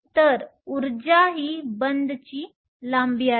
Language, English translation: Marathi, So, Energy this is bond length